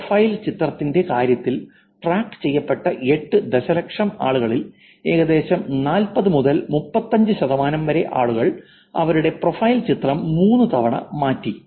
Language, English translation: Malayalam, Of the 8 million people that were tracked, about 40 percent, 35 percent of the people change their profile picture three times at least